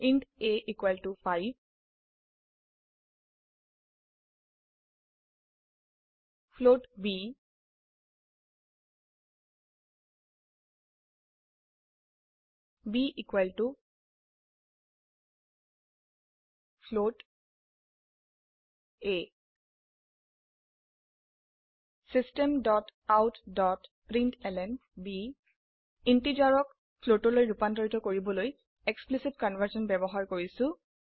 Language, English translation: Assamese, int a =5, float b, b = a System.out.println We are using Explicit conversion to convert integer to a float Save the file and Run it